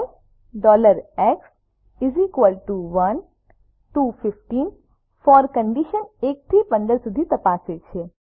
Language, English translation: Gujarati, for $x= 1 to 15 checks for condition from 1 to 15